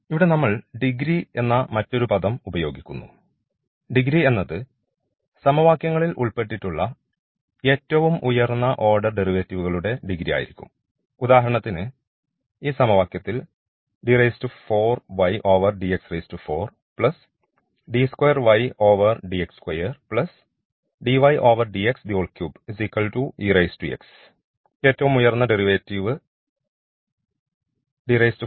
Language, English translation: Malayalam, There is another terminology we will using here degree and degree here in these equations will be the degree of again the highest order derivatives involved, for instance in this case this is the higher order derivative